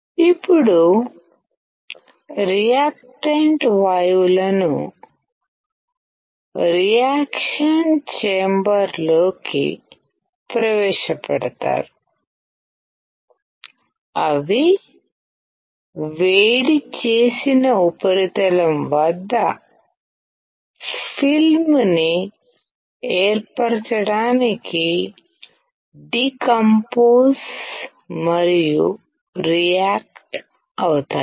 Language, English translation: Telugu, Now, the reactant gases are introduced into reaction chamber and are decomposed and reacted at a heated surface to form the film